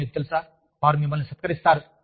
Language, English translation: Telugu, And, you know, they will felicitate you